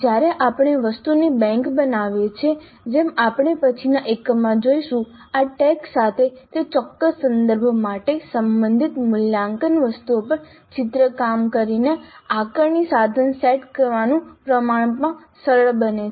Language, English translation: Gujarati, When we create an item bank as we shall see in a later unit with these tags it becomes relatively simpler to set an assessment instrument by drawing on the assessment items which are relevant for that particular context